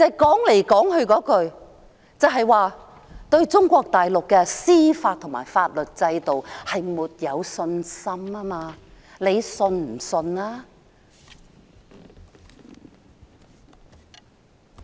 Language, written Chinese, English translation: Cantonese, 其實，說到底，就是對中國大陸的司法和法律制度沒有信心。, In fact at the end of the day all this boils down to a lack of confidence in Mainland Chinas judicial and legal system